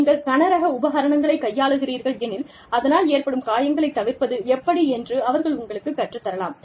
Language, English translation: Tamil, If you are handling heavy equipment, they could teach you, how to avoid injuries, to your back